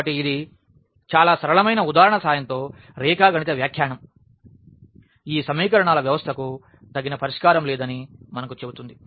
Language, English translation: Telugu, So, with the help of this very simple example the geometrical interpretation itself says that we do not have a solution of this system of equations